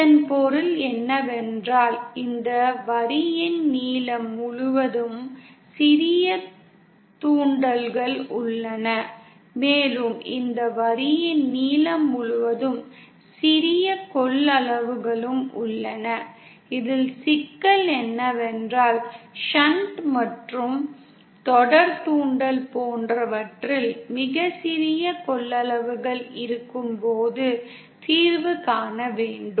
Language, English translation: Tamil, What this means is there are small small inductances all along the length of this line and there are also small small capacitances all along the length of this line and the problem is to find the solution when we have such very small capacitances in shunt and series inductance is present